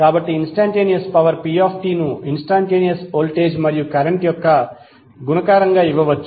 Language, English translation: Telugu, So instantaneous power P can be given as multiplication of instantaneous voltage and current